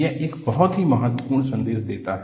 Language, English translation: Hindi, It conveys a very important message